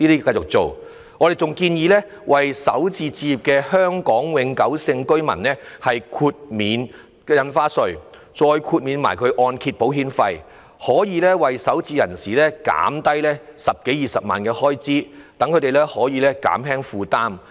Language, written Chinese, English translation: Cantonese, 我們還建議，為首次置業的香港永久性居民豁免印花稅及按揭保險費，讓首置人士減省十多二十萬元的開支，減輕負擔。, We also suggest waiving stamp duty and mortgage insurance premium for first - time home buyers who are permanent residents of Hong Kong and thus allowing them a 100,000 to 200,000 reduction in expenses in a bid to lessen their burdens